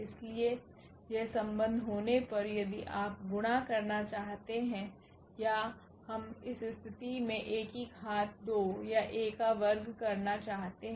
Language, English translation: Hindi, So, having this relation then if you want to multiply or we want to get this A power 2 or A square in that case